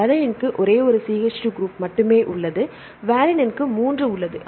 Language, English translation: Tamil, Alanine has only one CH2 group, valine has 3